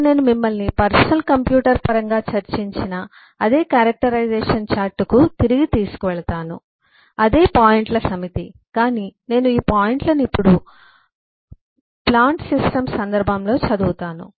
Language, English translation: Telugu, now I take you back to the same characterization, uh umm chart that I discussed in terms of a personal computer, the same set of points, but I just read these points now in the context of a plant system